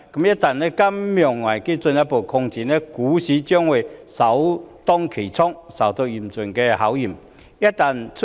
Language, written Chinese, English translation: Cantonese, 一旦金融危機進一步擴展，股市將會首當其衝，受到嚴峻的考驗。, If the risks of a financial crisis develop further the stock market will be the first to take the brunt and face a serious challenge